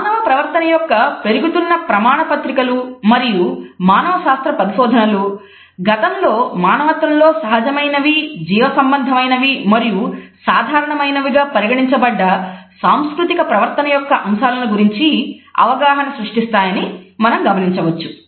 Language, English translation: Telugu, We find that increasing documentation of human behavior as well as anthropological researches are creating awareness about those aspects of cultural behaviors which were previously considered to be instinctive, biological and common in humanity